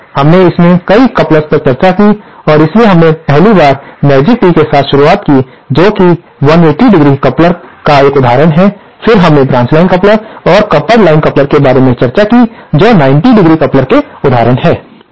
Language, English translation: Hindi, So, we have discussed a number of couplers in this course so we 1st started with magic tee which is an example of a 180¡ coupler then we discussed about branch line coupler and the the coupled line coupler which are examples of the 90¡ couplers